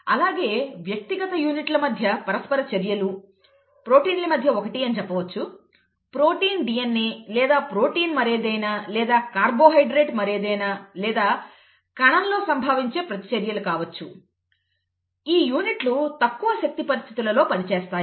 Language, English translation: Telugu, Also, interactions between individual units, say proteins, amongst proteins itself is 1; protein DNA, okay, or protein something else or maybe carbohydrate something else and so on or reactions that that occur in the cell